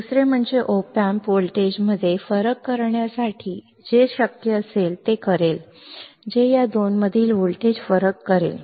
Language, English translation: Marathi, Second the op amp will do whatever it can whatever it can to make the voltage difference to make the voltage difference between this two